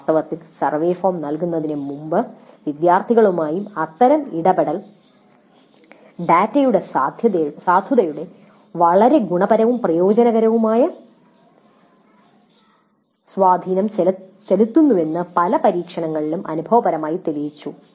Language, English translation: Malayalam, In fact, in many of the experiments, empirically evidence has been gathered that such a interaction with the students before administering the survey form has very positive beneficial impact on the validity of the data